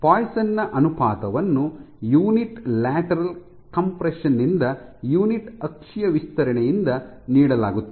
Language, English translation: Kannada, Poisson’s ratio is given by unit lateral compression by unit axial elongation